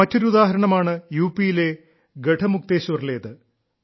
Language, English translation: Malayalam, There is one more example from Garhmukteshwar in UP